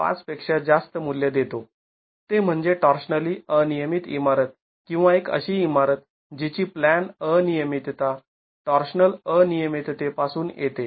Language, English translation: Marathi, That is the definition of a torsionally irregular building or a building which has plan irregularity coming from torsional irregularity